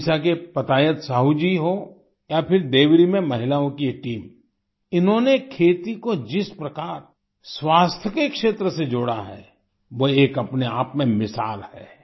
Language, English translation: Hindi, Whether it is Patayat Sahu ji of Odisha or this team of women in Deori, the way they have linked agriculture with the field of health is an example in itself